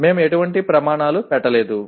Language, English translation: Telugu, We have not put any criteria